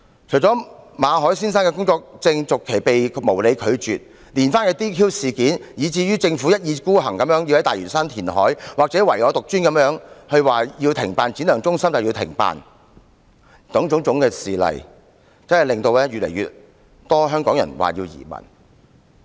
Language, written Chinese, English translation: Cantonese, 除了馬凱先生的工作證續期申請被無理拒絕外，連番的 "DQ" 事件，以至政府一意孤行宣布要在大嶼山進行填海，或唯我獨尊般表示要停辦職業訓練局觀塘展亮技能發展中心等，種種事例越發令香港人考慮移民。, Apart from the unreasonable refusal to renew Mr MALLETs work visa the disqualification incidents that happened one after again the self - willed announcement of reclamation in Lantau Island and the extremely conceited plan to shut down the Vocational Training Centres Shine Skills Centre in Kwun Tong more and more Hong Kong people are considering migrating to other places